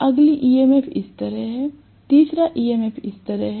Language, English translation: Hindi, The next EMF is like this; the third EMF is like this